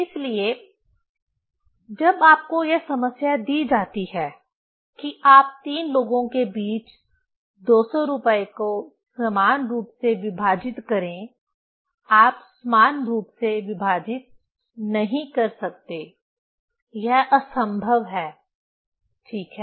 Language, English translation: Hindi, So, when problem is given to you that you equally divide the 200 rupees among three people; you cannot equally divide; it is impossible, ok